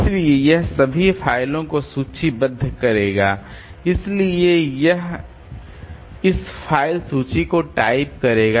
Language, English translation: Hindi, So, it will be, it will be typing this file list there